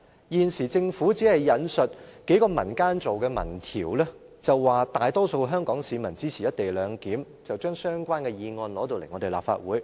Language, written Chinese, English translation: Cantonese, 現時政府只是引述數個民間組織做的民調，表示大多數香港市民支持"一地兩檢"，便將相關議案提交立法會。, The Government has only cited the opinion polls conducted by several community organizations . Then it claims that the majority of Hong Kong people support the co - location arrangement and puts a government motion before the Legislative Council